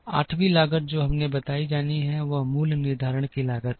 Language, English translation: Hindi, The 8th cost which we have to describe is cost of under utilization